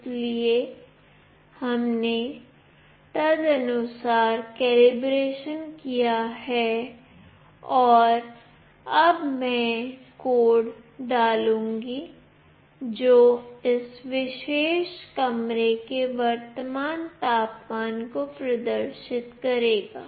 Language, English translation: Hindi, So, we have done the calibration accordingly and now I will be dumping the code, which will display the current temperature of this particular room